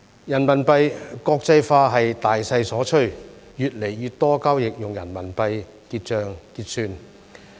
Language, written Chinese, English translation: Cantonese, 人民幣國際化是大勢所趨，越來越多交易用人民幣結算。, RMB internationalization is a general trend as more and more transactions are settled in RMB